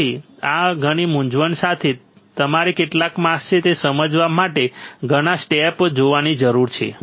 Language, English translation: Gujarati, So, with all this confusion you have to see so many steps to understand how many masks are there